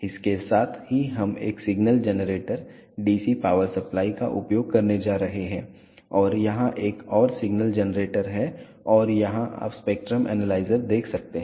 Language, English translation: Hindi, Along with that we are going to use a signal generator, A DC power supply and here is another signal generator and here you can see the spectrum analyzer